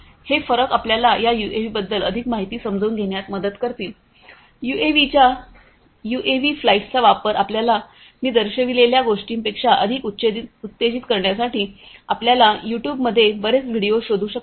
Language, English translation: Marathi, These differences will help you to gain better understanding more information about these UAVs, use of UAVs flights of UAVs you can find lot of different videos in YouTube to excite you more beyond what I have shown you